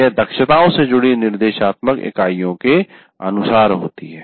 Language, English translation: Hindi, It is as per the instructional units associated with competencies